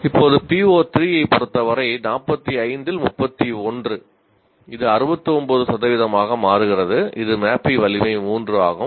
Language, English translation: Tamil, Now as far as PO3 is concerned, 31 out of 45, which still makes it 69 percent which is mapping strength 3